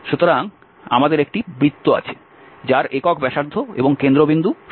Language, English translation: Bengali, So we have the circle the unit radius centred at 0